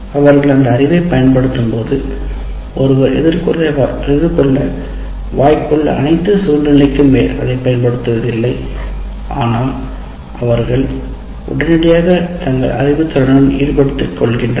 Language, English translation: Tamil, As we said, when they're applying the knowledge, they are not applying it to all conceivable situations that one is likely to encounter, but is immediately getting engaged with that knowledge